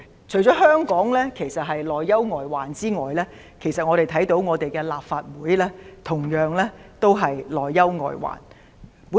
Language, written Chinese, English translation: Cantonese, 除了香港面對內憂外患外，其實立法會同樣面對內憂外患。, While Hong Kong is faced with internal and external threats so is the Legislative Council